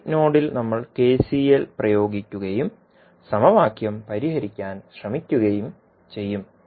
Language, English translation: Malayalam, We will apply KCL at this particular node and try to solve the equation